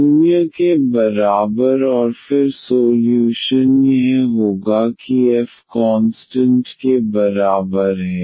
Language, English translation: Hindi, So, once we have f we can write down the solution as f is equal to constant